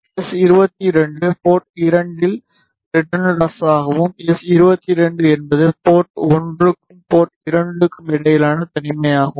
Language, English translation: Tamil, S22 will be the return loss at port 2 and s 2 1 is the isolation between port 1 and port 2